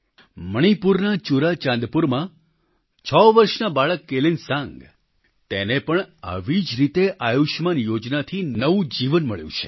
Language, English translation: Gujarati, Kelansang, a sixyearold child in ChuraChandpur, Manipur, has also got a new lease of life from the Ayushman scheme